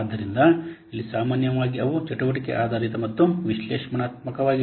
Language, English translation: Kannada, So, here normally they are activity based and analytical